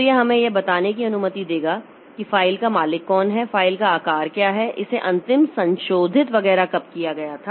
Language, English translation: Hindi, So, that will be allowing us to get who is the owner of the file, what is the size of the file, when was it created, when was it last modified, etc